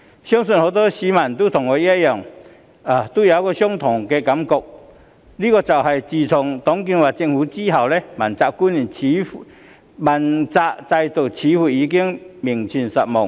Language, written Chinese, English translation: Cantonese, 相信很多市民和我一樣有一種感覺，就是自董建華政府後，主要官員問責制似乎已名存實亡。, I am sure many citizens in Hong Kong share my feelings that the accountability system for principal officials seems to have existed in name only after the TUNG Chee - hwa Government